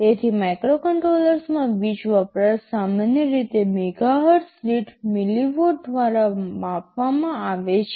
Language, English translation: Gujarati, So, power consumption in microcontrollers areis typically measured by milliwatt per megahertz ok